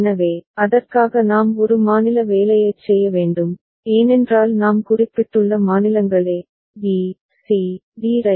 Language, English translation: Tamil, So, for that we need to do a state assignment, because states we have mentioned in terms of a, b, c, d right